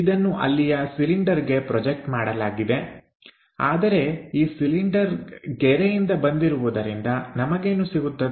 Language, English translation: Kannada, So, this one projected to the cylinder there, but this one from the cylinder line what we are going to get